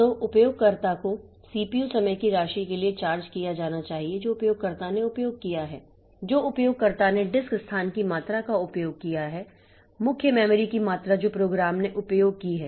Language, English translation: Hindi, So, the user should be, user should be charged for the amount of CPU time that the user has used, amount of disk space that the user has used, amount of main memory that the program has used, so like that